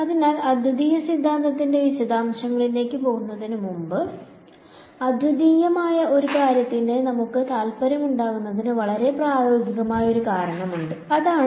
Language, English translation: Malayalam, So, before we go in to the details of the uniqueness theorem, there is a very practical reason why we should be interested in something which is uniqueness and that is this